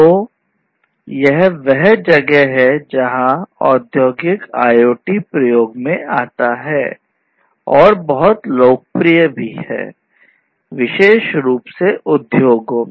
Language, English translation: Hindi, So that is where industrial IoT comes into picture and is so much popular, particularly in the industry